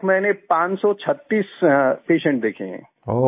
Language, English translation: Hindi, So far I have seen 536 patients